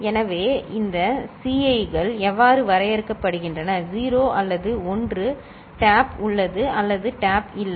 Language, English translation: Tamil, So, that is how this Ci s are defined, either 0 or 1 tap is present or tap not present